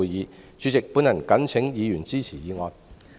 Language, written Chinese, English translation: Cantonese, 代理主席，我謹請議員支持議案。, Deputy President I urge Members to support this motion